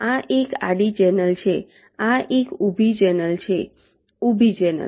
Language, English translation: Gujarati, this is a vertical channel, vertical channel